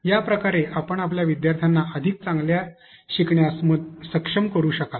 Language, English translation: Marathi, In this case therefore, you allow your learners to be able to learn better